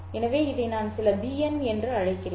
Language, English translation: Tamil, , I can very well call this as some bn, right